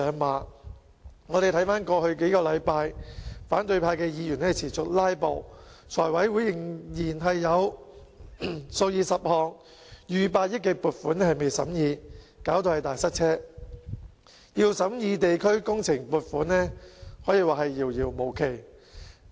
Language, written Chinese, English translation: Cantonese, 回看過去數星期，反對派議員持續"拉布"，財務委員會仍然有數以十項逾百億元的撥款尚待審議，導致"大塞車"，要審議地區工程撥款，可說是遙遙無期。, Looking back on the past few weeks the opposition Members have filibustered continually and tens of funding items valued at over 10 billion are pending deliberation by the Finance Committee resulting in a serious congestion . It can take ages before the funding for community projects can be deliberated